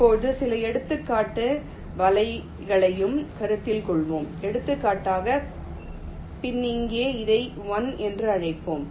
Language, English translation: Tamil, lets now also consider some example nets, like, for example, ah pin here lets call it one